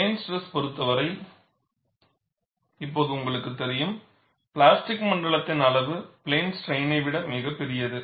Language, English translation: Tamil, In the case of plane stress, now, you know, the size of the plastic zone is much larger than in plane strain